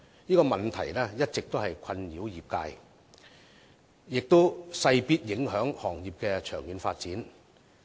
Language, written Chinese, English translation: Cantonese, 這個問題一直困擾業界，亦勢必影響行業的長遠發展。, This problem has been plaguing the industry and will certainly affect the long - term development of the industry